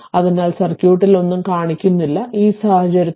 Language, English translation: Malayalam, So, nothing is showing in the circuit, so in that case u t is equal to 0